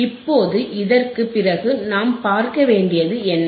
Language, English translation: Tamil, Now, after this, what we have to see